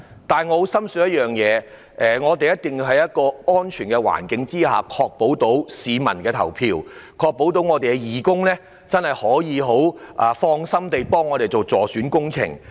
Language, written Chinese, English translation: Cantonese, 不過，我深信選舉一定要在安全的環境下進行，以確保市民可以放心投票，而我們的義工也可以放心助選。, However I strongly believe that the election must be conducted under a safe environment to ensure that people can feel at ease to vote whereas our volunteers can also feel at ease to help in electioneering